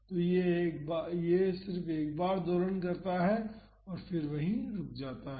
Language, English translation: Hindi, So, this just oscillates once and stops there